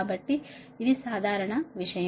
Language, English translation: Telugu, so this is that general thing